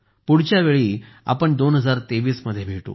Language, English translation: Marathi, Next time we will meet in the year 2023